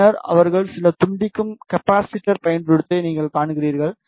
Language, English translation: Tamil, Then you see that they have use some decoupling capacitors